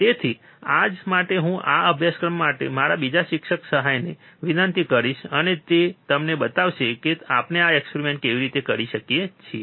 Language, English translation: Gujarati, So, for today I will request my another teaching assistant for this particular course, and he will be showing you how we can perform this experiment